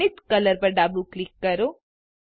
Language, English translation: Gujarati, Left click Zenith colour